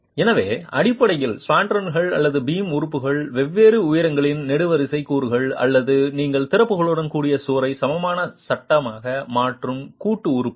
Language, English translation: Tamil, So, basically as an assembly of spandrels or the beam elements, column elements of varying heights and the joint elements, you are converting the wall with openings into an equivalent frame